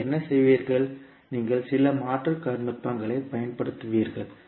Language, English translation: Tamil, Then what you will do, you will use some alternate technique